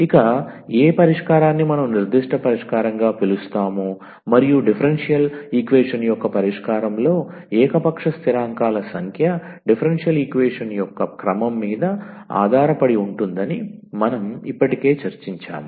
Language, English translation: Telugu, So, which call which we call as the particular solution and as we discussed already that the number of arbitrary constants in a solution of a differential equation depends on the order of the differential equation